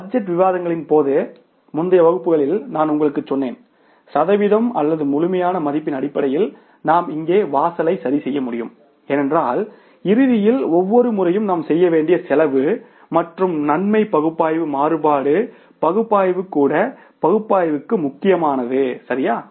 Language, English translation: Tamil, I told you in the previous classes during the budget discussion that either in terms of the percentage or in the absolute value we can fix up the threshold level because ultimately the cost and benefit analysis we have to do every time and in case of the variance analysis also that analysis is important